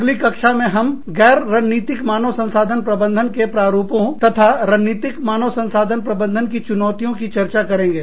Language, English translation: Hindi, In the next class, we will be dealing with the, non strategic models of HRM, and the challenges to strategic HRM